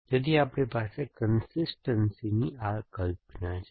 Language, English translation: Gujarati, So, we have this notion of consistency